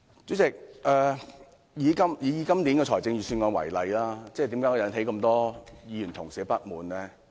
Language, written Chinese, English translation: Cantonese, 主席，以今年的預算案為例，為何會引起這麼多議員不滿呢？, Chairman why has the Budget this year aroused the discontent of so many Members?